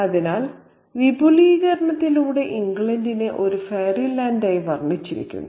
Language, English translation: Malayalam, So, England is by extension painted as a fairy land